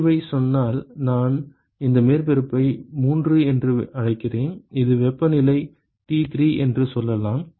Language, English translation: Tamil, Then if let us say the emissivity I call this surface 3, which is at let us say temperature T3